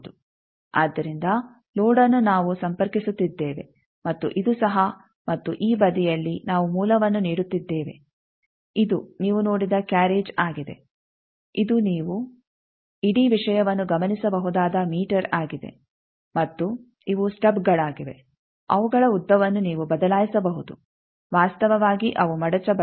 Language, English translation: Kannada, So, load we are connecting and this too and this side we are giving the source this is the carriage that you have seen this is the meter where you can observe the whole thing and this stub this stubs their lengths, you can change actually they are foldable